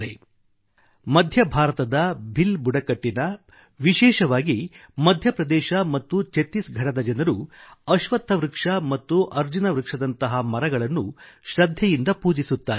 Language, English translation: Kannada, The Bhil tribes of Central India and specially those in Madhya Pradesh and Chhattisgarh worship Peepal and Arjun trees religiously